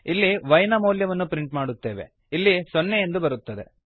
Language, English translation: Kannada, We print the value of y, here we get 0